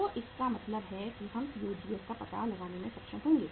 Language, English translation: Hindi, So it means we will be able to find out the COGS